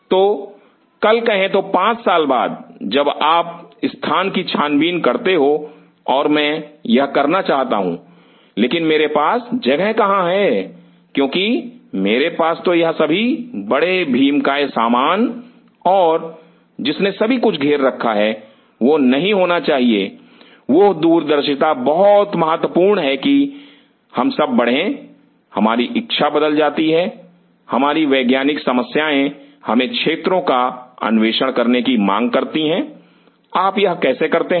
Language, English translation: Hindi, So, tomorrow say 5 years down the line you wanted to explore that site and I wanted to do this, but where I am having a space because I have got all this big giant stuff and have covered up everything, that should not happen that farsightedness is very critical that we all grow, our desire changes, our scientific problem demands us to explore areas how you do it